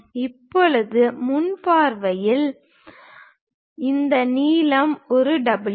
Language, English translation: Tamil, Now in the front view we have this length A W